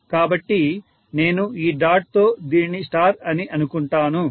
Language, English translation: Telugu, So, if I call this as star with the dot